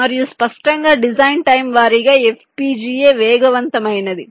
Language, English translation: Telugu, and obviously design time wise, fpgas is the fastest